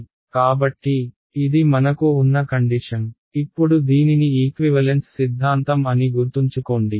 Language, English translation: Telugu, So, this is the situation that we have; now remember that this is what is called equivalence theorem